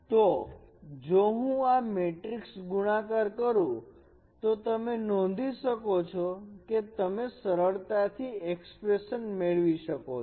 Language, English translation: Gujarati, So if I perform this matrix multiplication you can check you will simply get this expression